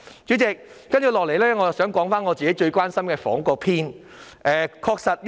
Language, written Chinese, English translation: Cantonese, 主席，我也想談談我最關心的房屋問題。, President I would also like to talk about the housing issues that I am most concerned about